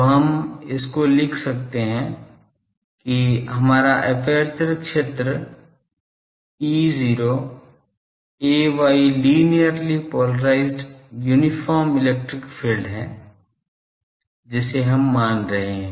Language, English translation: Hindi, So, we can write our aperture field is E not ay linearly polarised uniform electric field, we are assuming it